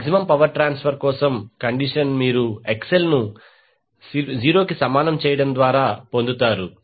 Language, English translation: Telugu, The condition for maximum power transfer will be obtained by setting XL is equal to 0